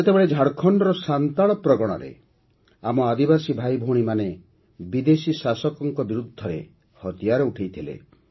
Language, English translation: Odia, Then, in Santhal Pargana of Jharkhand, our tribal brothers and sisters took up arms against the foreign rulers